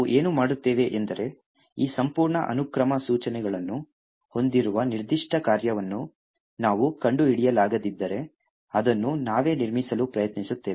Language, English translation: Kannada, What we do is that if we cannot find specific function which has this entire sequence of instructions, we try to build it ourselves